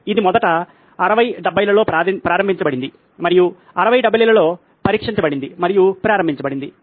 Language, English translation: Telugu, This was originally launched in the 60s 70s and has been on tested and launched in the 60s 70s